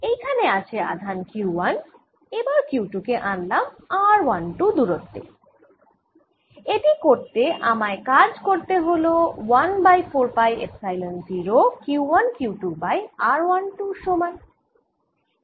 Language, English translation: Bengali, so i have charge q one, let us bring q two to a distance r one, two, and doing so i have done work which is one over four, phi epsilon zero q one, q two over r one, two